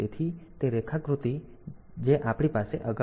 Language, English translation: Gujarati, So, this is the diagram that we had previously